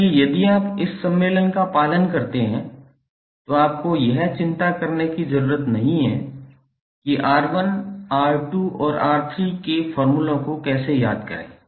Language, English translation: Hindi, So if you follow this convention, you need not to worry about how to memorize the formulas for R1, R2 and R3